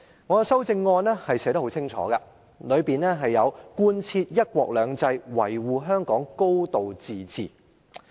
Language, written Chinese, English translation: Cantonese, 我在修正案清楚要求貫徹"一國兩制"、維護香港"高度自治"。, My amendment explicitly asks for compliance with one country two systems and the safeguarding of a high degree of autonomy